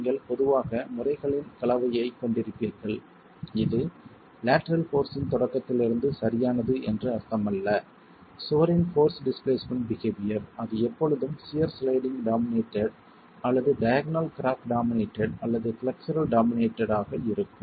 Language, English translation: Tamil, You will get, it does not mean that right from the beginning of the lateral force displacement, force displacement behavior of the wall that is always going to be shear sliding dominated or diagonal cracking dominated or flexure dominated